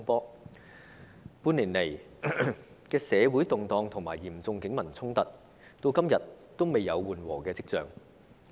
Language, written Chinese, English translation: Cantonese, 半年來的社會動盪和嚴重警民衝突，至今仍未有緩和跡象。, The social unrest and the serious clashes between the Police and the people have shown no signs of easing up